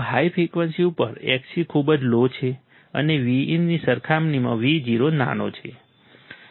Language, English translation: Gujarati, At very high frequencies Xc is very low and Vo is small as compared with Vin